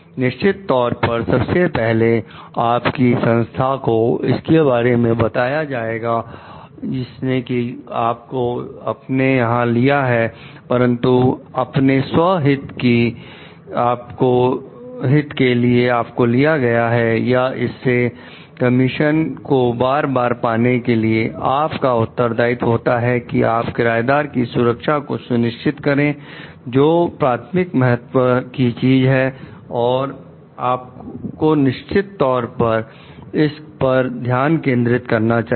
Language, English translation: Hindi, First definitely report to your organization which is like hired you for it, but beyond your self interest for getting hired or repeat getting part of commission for it, it is your responsibility to the safety of the tenants which should be of primary importance and you should really focus on it